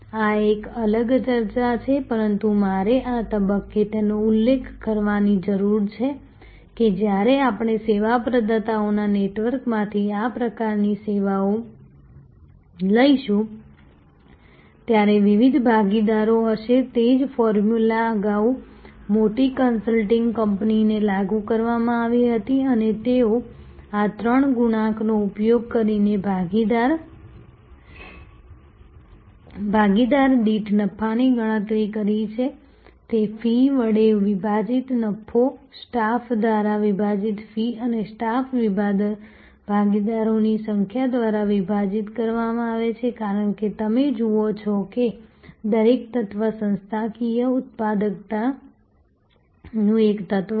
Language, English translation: Gujarati, This is a different set of discussion, but I need to mention it at this stage, that when we take this kind of services from a network of service providers there will be different partners the same formula earlier applied to a large consulting company and they would have calculated the profit per partner using these three multiples; that is profit divided by fees, fees divided by staff and staff divided by number of partners as you see each element is a element of organizational productivity